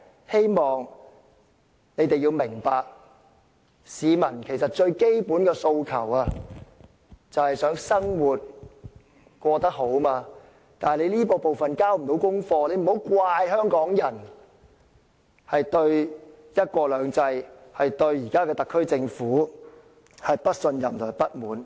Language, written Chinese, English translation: Cantonese, 希望他們明白，市民最基本的訴求是想生活過得好，但他們未能交功課，莫怪香港人對"一國兩制"及特區政府不信任和不滿。, I hope CPC will understand that the most basic aspiration of the people is to lead a good life but it has failed to perform hence we cannot blame Hong Kong people for not trusting and feeling dissatisfied with one country two systems and the SAR Government